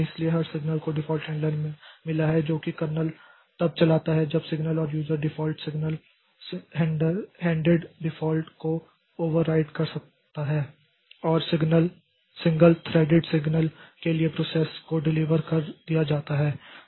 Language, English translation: Hindi, So, every signal has got default handler that kernel runs when handling the signal and user defined signal handler can override the default and for single threaded signal is delivered to the process